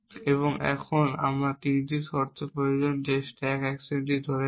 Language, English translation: Bengali, And now, I need the 3 conditions of those stack action which is holding B